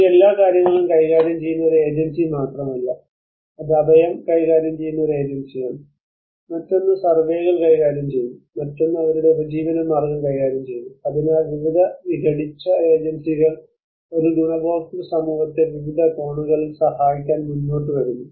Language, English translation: Malayalam, It is not just one agency dealing with everything it is one agency dealing with shelter another dealing with surveys another dealing with their livelihood so different fragmented agencies come forward to help one beneficiary community in different angles